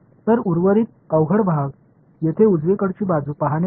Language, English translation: Marathi, Then the remaining tricky part is to look at the right hand side over here